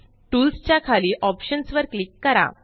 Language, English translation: Marathi, Under Tools, click on Options